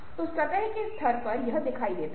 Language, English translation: Hindi, so at the surface level it becomes visible